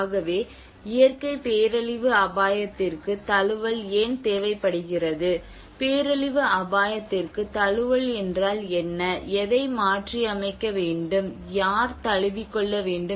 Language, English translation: Tamil, So they talk about why adaptation is needed for natural disaster risk, what is adaptation to disaster risk, and adapt to what, who has to adapt